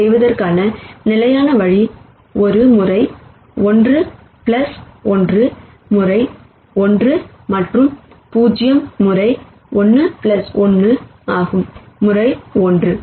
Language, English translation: Tamil, The standard way of doing this would be one times one plus 1 times one and 0 times 1 plus 1 times 1